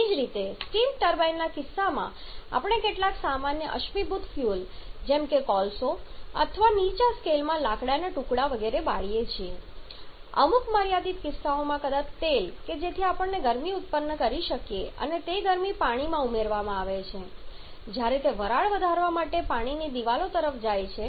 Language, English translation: Gujarati, Similarly in case of steam turbines we burn some common fossil fuels like coal or in lower scale odd shapes etc in certain limited cases maybe oil so that we can produce heat and that heat is added to the water when it passes to the water walls to raise the steam